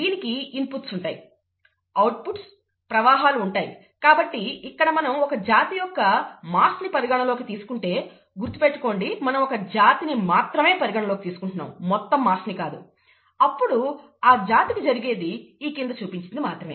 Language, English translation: Telugu, There are inputs to this, there are output streams from this, and therefore, if we follow the mass of a species; we are looking at a species here, not total mass here; mass of a species, only the following can happen to the species